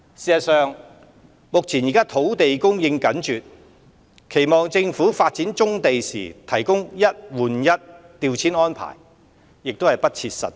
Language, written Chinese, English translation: Cantonese, 事實上，目前土地供應緊絀，期望政府發展棕地時提供"一換一"調遷安置亦不切實際。, In fact given the land scarcity it is unrealistic to expect the Government to offer one - on - one reprovisioning in the course of pursuing developments on brownfield sites